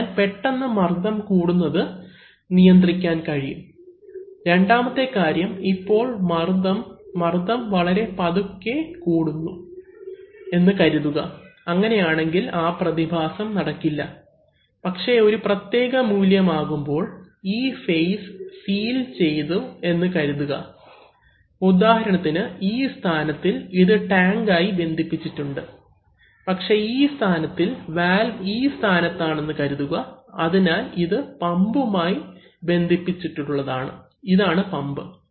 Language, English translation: Malayalam, So therefore, sudden pressure rises can be controlled, second thing is that if there is now the pressure, suppose the pressure rises slowly then that phenomenon will not occur, but then at a certain value, suppose this phase sealed, for example in this position it is connected to tank, but in this position, suppose this is a, this valve is in this position, therefore, this is connected to the pump, this is the pump put